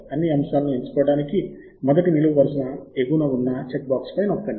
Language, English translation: Telugu, click on the check box at the top of the first column of all the items to select all the items